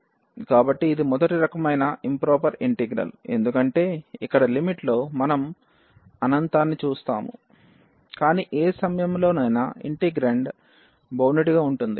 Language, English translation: Telugu, So, this is the improper integral of a kind one or the first kind because here in the limit we do see a infinity, but the integrand at any point is bounded